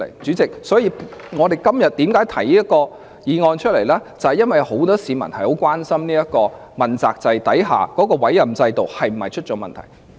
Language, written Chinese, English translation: Cantonese, 主席，為何我今天要提出這項議案，就是由於很多市民也很關心在問責制下的委任制度是否出了問題。, President many members of the public are gravely concerned whether the appointment mechanism under the accountability system has become defective and that is why I have to move this motion today